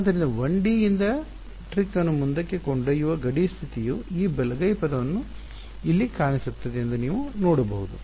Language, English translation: Kannada, So, you can see that the carrying the trick forward from 1D the boundary condition is going to appear this right hand side term over here